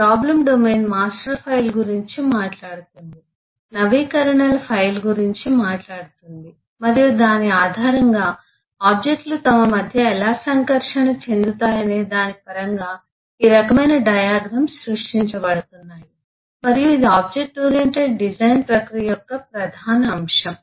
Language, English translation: Telugu, the problem domain talks about a master file, talks about a file of updates and so on, and based on that, this kind of a eh diagram is getting created in terms of how the objects will interact between themselves, and that’s the core of the object oriented design process